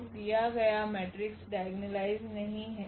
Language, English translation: Hindi, So, the given matrix is not diagonalizable